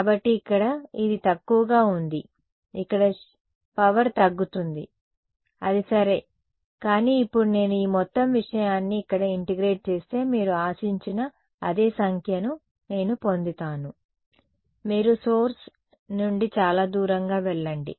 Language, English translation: Telugu, So, its low over here it's even low over here the power is dropping that is ok, but now if I integrate over this whole thing over here I get the same number that is what you expect right you go far away from this source the field intensity drops